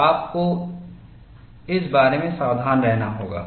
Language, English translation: Hindi, So, you have to be careful about that